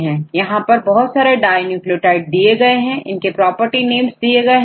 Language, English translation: Hindi, Here these are the various dinucleotides, we have the property names